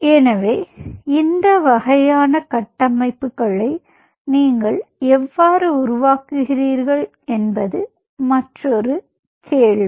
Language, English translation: Tamil, another question is how you really develop these kind of structures